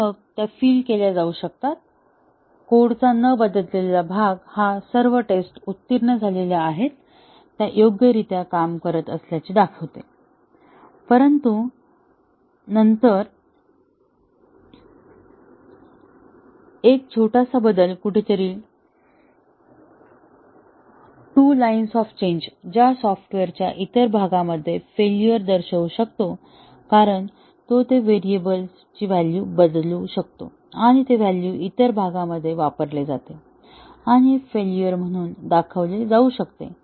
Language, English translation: Marathi, And then, those start to fill; the unchanged part of the code may be, had passed all the tests, was found to be working correctly, But then, a small change somewhere just two lines of change that may show up as many failures in the other part of the software, because it changed a variable value and that value was used by the other parts; and can show up as failures